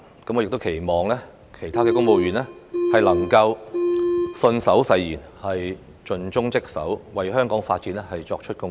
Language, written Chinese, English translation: Cantonese, 我亦期望其他公務員能信守誓言，盡忠職守，為香港發展作出貢獻。, I expect other civil servants to honour their pledge be dedicated to their duties and contribute to the development of Hong Kong